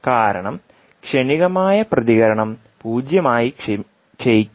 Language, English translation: Malayalam, In that case transient response will not decay to zero